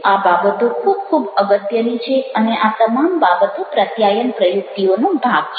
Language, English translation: Gujarati, these things are very, very important and all these things are part of communication strategies